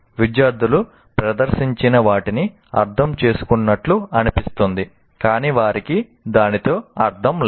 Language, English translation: Telugu, Students seem to be understanding what is presented, but it doesn't make any meaning to them